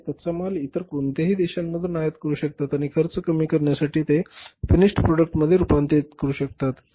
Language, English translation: Marathi, They can import even the raw material from any other country and they can convert that into the finished product to reduce the cost